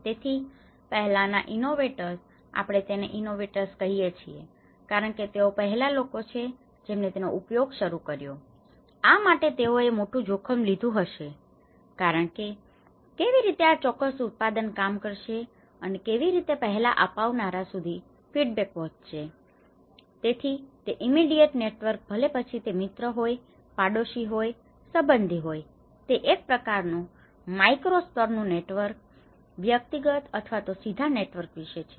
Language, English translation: Gujarati, So, the earlier innovators, we call them as innovators because these are the first people who started using it, they might have taken a high risk to take this as how this particular product is going to work and then this is how the feedback have reached to the early adopters, so then the immediate network whether it is a friend, whether is a neighbour, whether it is the relative that is about a kind of micro level networks through their personal or a direct networks